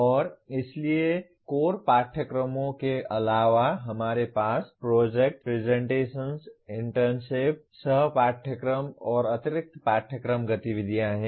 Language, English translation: Hindi, And so in addition to core courses we have projects, presentations, internship, co curricular and extra curricular activities